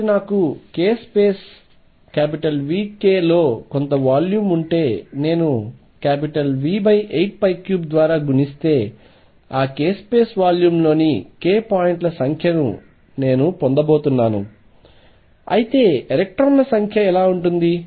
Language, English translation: Telugu, So, if I have a some volume k space v k if I multiply that by v over 8 pi cubed I am going to get the number of k points in that k space volume, how about the number of electrons